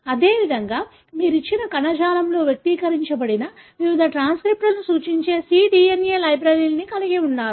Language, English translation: Telugu, Likewise, you have cDNA libraries that represent different transcripts that are expressed in a given tissue